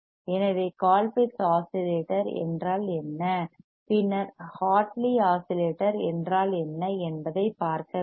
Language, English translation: Tamil, So, we have to see what is a Colpitt’s oscillator and; what is a Hartley oscillator we will see later